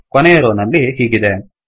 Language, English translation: Kannada, The last row has this